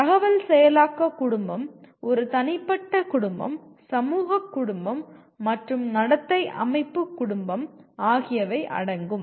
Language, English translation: Tamil, And you have information processing family, a personal family, social family, and behavioral system family